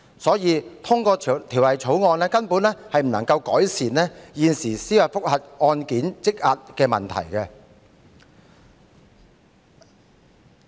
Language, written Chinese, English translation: Cantonese, 因此，通過《條例草案》根本不能夠改善現時司法覆核案件積壓的問題。, Therefore the passage of the Bill cannot alleviate the current backlog of judicial review cases at all